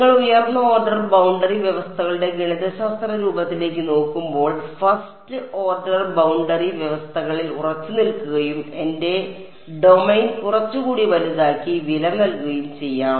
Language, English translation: Malayalam, And when you look at the mathematical form of higher order boundary conditions you will realize let us stick to 1st order boundary conditions and pay the price by making my domain a little bit larger ok